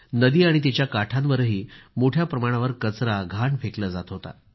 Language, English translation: Marathi, A lot of garbage was being dumped into the river and along its banks